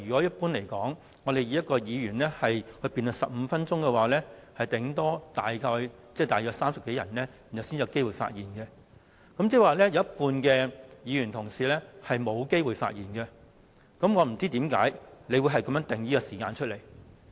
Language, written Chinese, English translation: Cantonese, 一般而言，以一位議員發言15分鐘計 ，8 小時大約只能讓30多位議員發言，即有一半議員沒有機會發言，我不知道為何你會定出這樣的時限。, In general if a Member speaks for 15 minutes only 30 - odd Members can speak in eight hours meaning that half of the Members do not have the chance to speak . I wonder why you set such a time limit